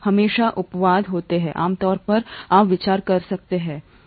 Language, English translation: Hindi, There are always exceptions, usually you can consider this